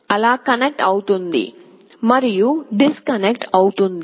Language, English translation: Telugu, The switch will be connecting and disconnecting like that